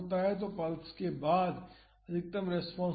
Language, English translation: Hindi, So, that is the maximum response happens after the pulse